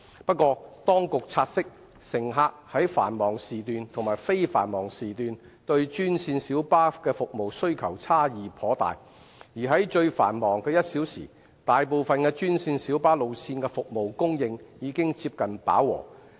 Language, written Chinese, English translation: Cantonese, 不過，當局察悉，乘客在繁忙時段和非繁忙時段對專線小巴服務的需求差異頗大，而在最繁忙的1小時，大部分專線小巴路線的服務供應已接近飽和。, However it was noted that the passenger demand for green minibus services during peak periods and non - peak periods differed quite significantly whereas the service supply of most green minibus routes during the busiest one hour had almost reached saturation